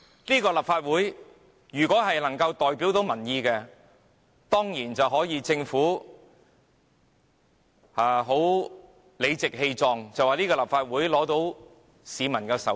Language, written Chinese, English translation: Cantonese, 如果立法會真能代表民意，政府當然可理直氣壯地說立法會得到市民授權。, If the Legislative Council truly represents the people the Government can certainly say with a clear conscience that the Legislative Council has the peoples mandate